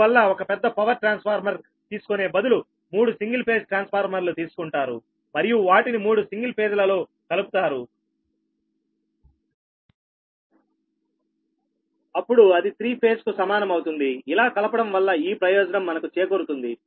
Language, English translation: Telugu, thats why for large power transformer they take three single phase transformer and they connect it three single phase in three phase such that it should be three phase